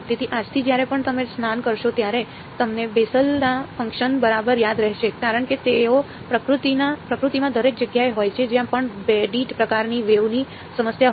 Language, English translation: Gujarati, So, from today whenever you have a bath you will remember Bessel functions right, because they are everywhere in nature wherever there is a 2 D kind of a wave problem